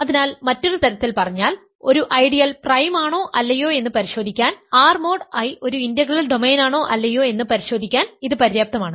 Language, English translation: Malayalam, So, in other words to verify that an ideal is prime or not, it suffices to show that, verify that R mod I is an integral domain or not